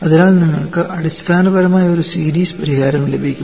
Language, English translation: Malayalam, So, you essentially get a series solution